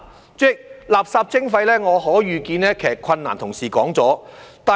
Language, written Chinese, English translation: Cantonese, 主席，就垃圾徵費可以遇見的困難，同事已說了。, President colleagues have already spoken on the difficulties which may arise in the implementation of waste charging